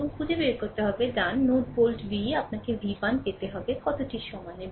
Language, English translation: Bengali, And we have to find out, right node volt v you have to obtain v 1 is equal to how much